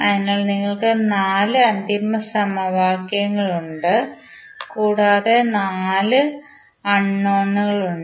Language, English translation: Malayalam, So, you have four final equations and you have four unknowns